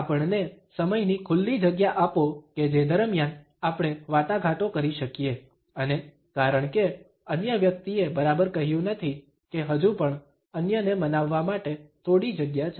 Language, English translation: Gujarati, Give us a window of time during which we can negotiate and since the other person has not exactly said that there is still some space to persuade others